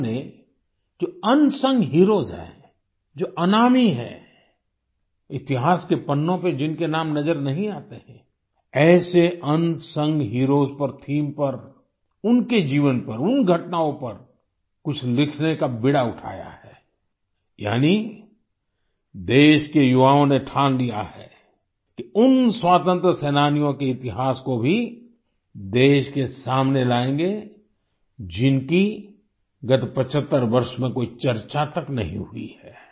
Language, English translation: Hindi, They have taken the lead to write something on those who are unsung heroes, who are unnamed, whose names don't appear on the pages of history, on the theme of such unsung heroes, on their lives, on those events, that is the youth of the country have decided to bring forth the history of those freedom fighters who were not even discussed during the last 75 years